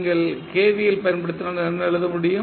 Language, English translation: Tamil, If you apply KVL what you can write